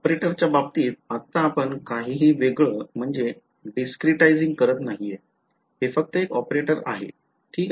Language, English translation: Marathi, Now, in terms of an operator right now we are not discretizing anything it is just an operator ok